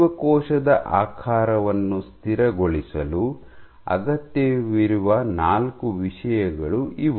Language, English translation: Kannada, So, these are the four things which are required for stabilizing cell shape